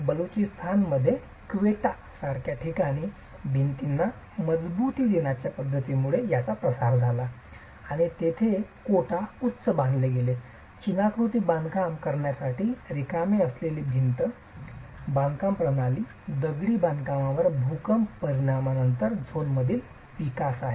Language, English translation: Marathi, This gained prevalence as method for reinforcing walls in places like Quetta in Balochistan where even the Quetta bond which is a wall construction system with a void created to hold the masonry is a development from the zone after earthquake effects on masonry structures